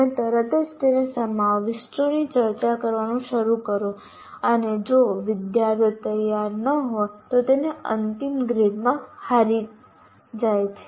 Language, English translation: Gujarati, You straight away start discussing the contents of that and if the students are not prepared they lose out in the final grade